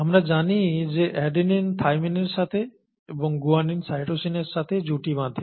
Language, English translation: Bengali, We know that adenine pairs up with thymine and guanine with cytosine